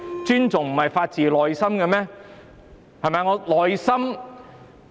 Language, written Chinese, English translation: Cantonese, 尊重不是發自內心嗎？, Does respect not come from the bottom of peoples heart?